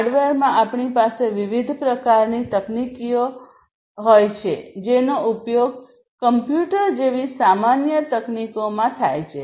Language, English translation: Gujarati, So, within hardware we have different types of technologies that are used commonly technologies such as computer